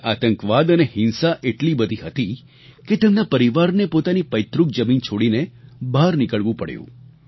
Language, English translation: Gujarati, Terrorism and violence were so widespread there that his family had to leave their ancestral land and flee from there